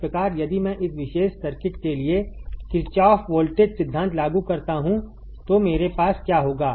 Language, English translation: Hindi, So, here if I apply Kirchhoff voltage law for this particular circuit what will I have